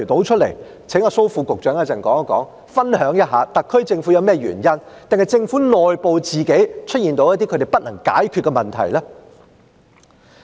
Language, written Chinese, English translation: Cantonese, 請蘇副局長稍後分享一下，特區政府是否有甚麼原因，還是政府內部出現了一些自己不能解決的問題。, Perhaps the Government should tell us Will Under Secretary Dr SO please share with us later whether there was any reason for the SAR Government to act that way? . Or were there some internal problems that it was unable to resolve itself?